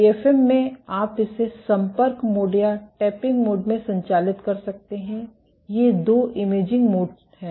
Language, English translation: Hindi, In AFM, you could operate it in contact mode or tapping mode these are two imaging modes